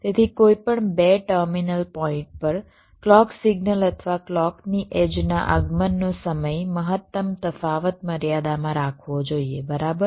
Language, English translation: Gujarati, so across any two terminal points, the maximum difference in the arrival time of the clock signal or the clock edges should be kept within a limit